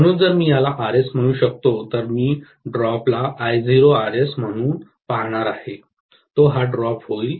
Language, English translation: Marathi, So, if I may call this as Rs, I am going to look at the drop across this as I0 times Rs, that is going to be the drop